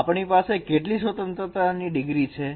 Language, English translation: Gujarati, And how many degree of freedom we have here